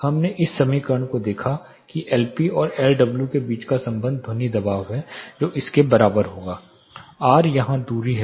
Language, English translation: Hindi, We looked at this equation the relation between L p and L W that is sound pressure will be equal to sound power minus 20 log r minus 11, r is the distance here